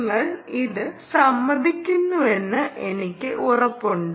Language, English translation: Malayalam, I am sure you all agree